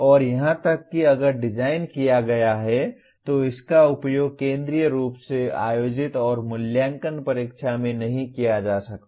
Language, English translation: Hindi, And even if designed cannot be used in a centrally conducted and evaluated examination